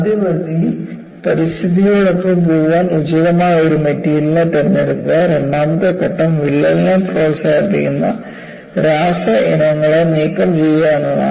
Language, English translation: Malayalam, So, the first step is, select an appropriate material to go with the environment; and the second step is, remove the chemical species that promotes cracking